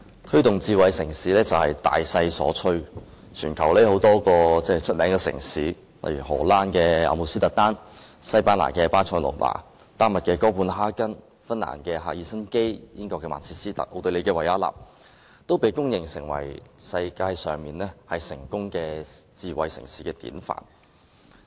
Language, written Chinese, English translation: Cantonese, 推動智慧城市發展是大勢所趨，全球有多個出名城市，例如荷蘭阿姆斯特丹、西班牙巴塞隆那、丹麥哥本哈根、芬蘭赫爾辛基、英國曼徹斯特、奧地利維也納，均被公認為世界上成功的智慧城市典範。, The promotion of smart city development is a general trend . Many well - known cities around the world such as Amsterdam in the Netherlands Barcelona in Spain Copenhagen in Denmark Helsinki in Finland Manchester in the United Kingdom and Vienna in Austria are widely regarded as examples of successful smart cities in the world